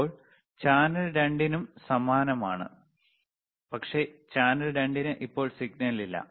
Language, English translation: Malayalam, tThen we have similarly for channel 2, but right now channel 2 has no signal